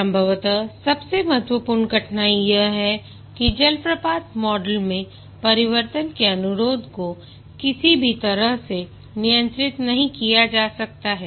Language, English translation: Hindi, Possibly the most important difficulty is there is no way change requests can be handled in the waterfall model